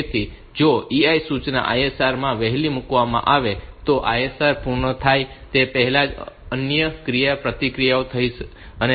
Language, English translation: Gujarati, So, if the EI instruction is placed early in the ISR other interact may occur before the ISR is done